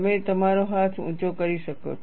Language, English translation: Gujarati, You can raise your hand